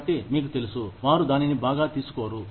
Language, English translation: Telugu, So, you know, they are not going to take it, very well